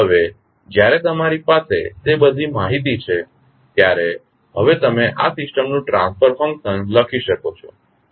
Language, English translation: Gujarati, Now, when you are having all those information in hand, you can now write the transfer function of this system